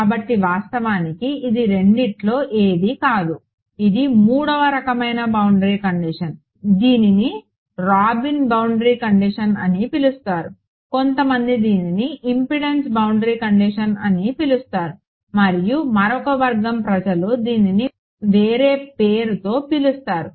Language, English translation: Telugu, So in fact, this is neither of the two this is a third kind of boundary condition its called a Robin boundary condition some people call it a another set of people call it a impedance boundary condition and another set of people will call it a